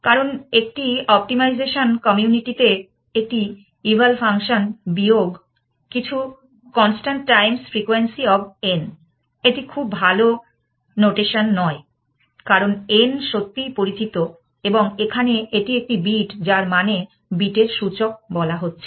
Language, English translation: Bengali, Because it optimization community calls with an eval function minus some constant times frequency of n, this is not very good notation, because n is really known and here it is a bit that is being saying the index of the bit